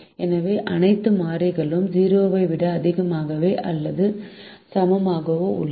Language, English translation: Tamil, so all the four variables are greater than or equal to zero